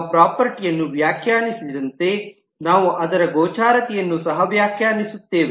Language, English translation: Kannada, So as we define the property, we also define the visibility of that property